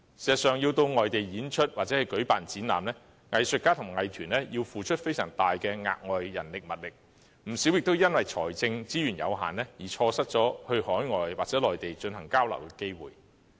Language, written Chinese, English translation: Cantonese, 事實上，要到外地演出或舉辦展覽，藝術家和藝團要付出非常大的額外人力物力，不少也因為財政資源有限而錯失前往海外或內地交流的機會。, In fact to perform or stage exhibitions outside Hong Kong artists and arts groups have to expend a lot of extra efforts and resources . Many of them have lost the opportunities of exchanges overseas or on the Mainland owing to restraints of financial resources